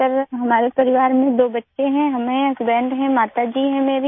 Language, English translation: Hindi, Sir, there are two children in our family, I'm there, husband is there; my mother is there